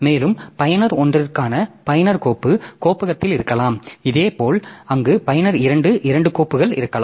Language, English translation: Tamil, And in the user file directory for user 1 maybe this there are 4 files that are there